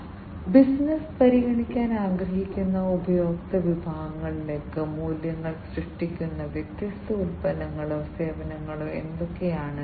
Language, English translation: Malayalam, So, what are the different products or the services that will create the values for the customer segments that the business wants to consider